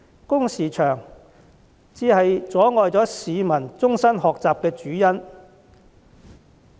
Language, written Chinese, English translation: Cantonese, 工時過長，才是阻礙市民終身學習的主因。, The main factor that prevents our workers from engaging in lifelong learning is long working hours